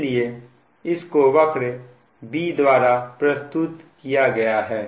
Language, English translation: Hindi, so that is represented by curve b